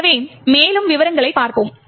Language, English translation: Tamil, So, let us look at more details